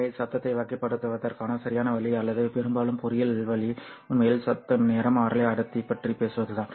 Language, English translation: Tamil, So the proper way or mostly the engineering way of characterizing noise is to actually talk about the noise spectral density